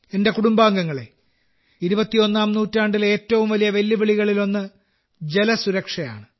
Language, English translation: Malayalam, My family members, one of the biggest challenges of the 21st century is 'Water Security'